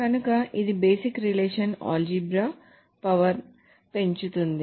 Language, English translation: Telugu, Increases power over basic relational algebra